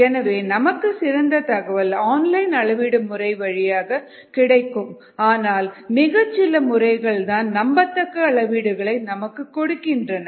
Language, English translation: Tamil, so the best view or the best information comes from online methods, but few are available for reliable measurements